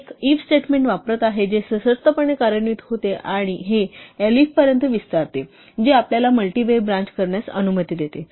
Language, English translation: Marathi, One is using the 'if statement', which conditionally executes and this extends to the elif which allows us to do a multi way branch